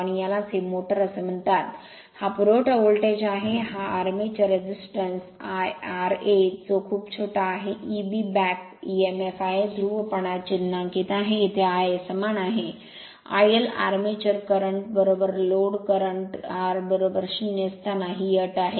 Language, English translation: Marathi, And this is your what you call this is your motor, this is the supply voltage, this is the armature resistance r a which is very small, E b is the back emf, polarity is marked as here I a is equal I l armature current is equal to load current r is equal to 0 at running condition